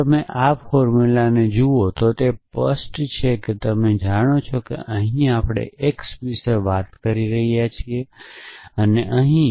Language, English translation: Gujarati, It is clear if you look at this formula is that, you know here we are talking about x here we are talking about